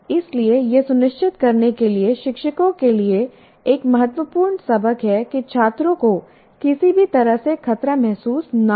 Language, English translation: Hindi, So this is one important lesson to the teachers to make sure that in no way the students feel threatened